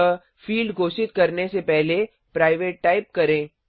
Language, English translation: Hindi, So before the field declarations type private